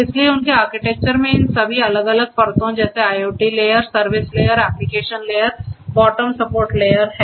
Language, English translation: Hindi, So, in their architecture they have all these different layers and the layers such as the IoT layer, service layer, application layer, the bottom support layer